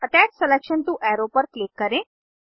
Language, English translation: Hindi, Click on Attach selection to arrow